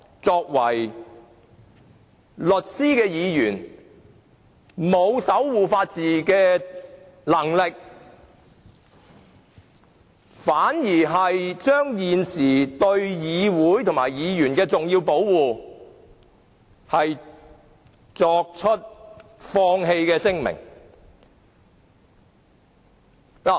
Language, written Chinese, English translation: Cantonese, 身為律師的議員，既未能守護法治，更明言放棄對議會及議員的重要保護。, Some Members who are lawyers themselves have not only failed to safeguard the rule of law but have even expressly given up the important protection of the Council and Members